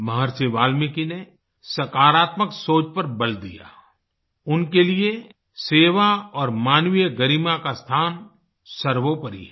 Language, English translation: Hindi, Maharishi Valmiki emphasized positive thinking for him, the spirit of service and human dignity were of utmost importance